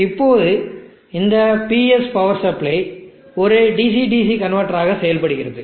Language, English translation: Tamil, Now this PS power supply is itself a DC DC converter